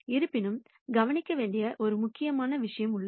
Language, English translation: Tamil, However there is an important point to note